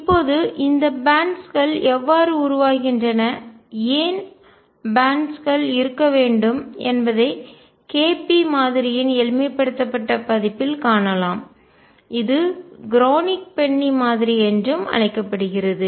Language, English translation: Tamil, Now, how those bands arise and why should there be bands can be seen in a simplified version of KP model which is also known as a Kronig Penny model